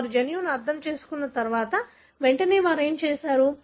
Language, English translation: Telugu, Once they understood the gene, then immediately what they did